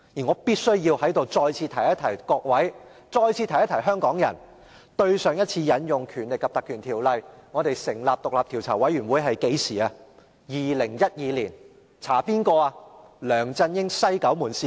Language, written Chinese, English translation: Cantonese, 我必須再次提醒各位議員和香港人，上次引用《條例》成立專責委員會是2012年，以調查梁振英的"西九門事件"。, I must remind Members and Hong Kong people once again that the last time the Ordinance was invoked to set up a select committee was 2012 and at that time the investigation was related to the West Kowloon - gate scandal involving LEUNG Chun - ying